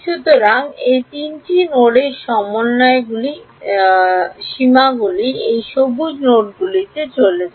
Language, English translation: Bengali, So, the limits of integration all those three nodes they move to these green nodes